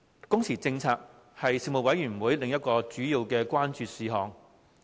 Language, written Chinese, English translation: Cantonese, 工時政策為事務委員會另一主要關注事項。, The working hours policy was the Panels another major issue of concern